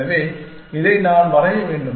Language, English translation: Tamil, So, maybe I should draw this